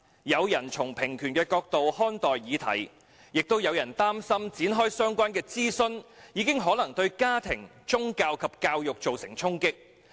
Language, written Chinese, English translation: Cantonese, 有人從平權的角度看待議題，但也有人擔心展開相關諮詢已可能對家庭、宗教及教育造成衝擊。, Some are in support from the perspective of equal opportunity . Others are concerned that launching a consultation exercise may deal a blow to family religion and education